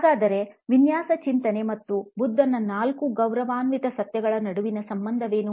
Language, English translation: Kannada, So, what is the connection between design thinking and the four noble truths of Buddha